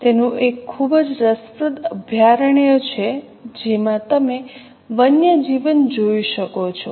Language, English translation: Gujarati, It also has a very interesting sanctuary there wherein you can see wildlife